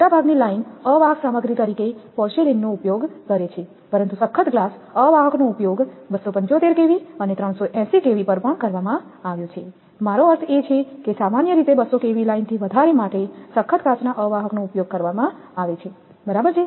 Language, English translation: Gujarati, Most of the lines use porcelain as an insulator material, but toughened glass insulators have also been used up to 275 kV and at 380 kV, I mean in general above 220 kV line the toughened glass insulators are used right so, but in general rest of the thing you will find that these are mostly they are porcelain